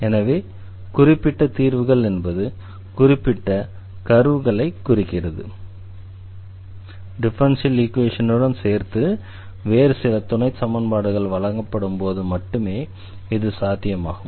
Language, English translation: Tamil, So, but having a particular solutions means a particular curves, so that is possible only when some other supplementary conditions are supplied with the differential equation